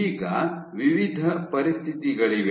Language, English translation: Kannada, Now, there are various conditions